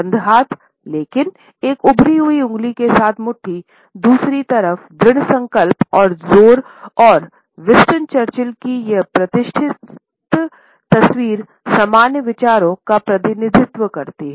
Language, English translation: Hindi, Closed hands, but fist with a protruding finger, on the other hand shows, determination and emphasis and this iconic photograph of Winston Churchill represents similar ideas